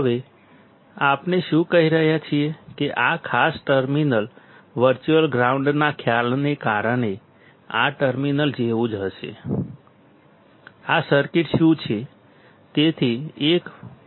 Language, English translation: Gujarati, Now, what we are saying is that this particular terminal will be similar to this terminal because of the concept of virtual ground; this is what the circuit is